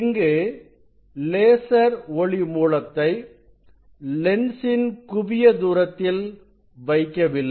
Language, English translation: Tamil, lens is not put at the, laser is not put at the focal point of this lens